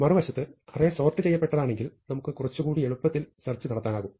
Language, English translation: Malayalam, On the other hand if the sequence is sorted and in particular if it is an array, we can be a little more intelligent